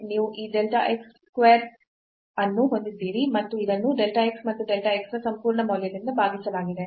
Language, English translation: Kannada, So, you have this delta x square and divided by this absolute value of delta x and delta x